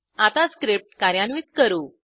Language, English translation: Marathi, Now let us execute the script again